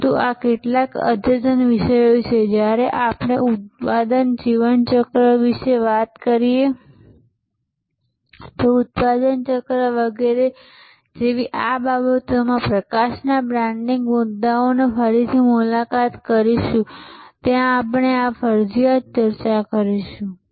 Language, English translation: Gujarati, But, these are some advanced topics we will discuss this compulsion sometimes when we revisit the branding issues in light of these things like product lifecycles, etc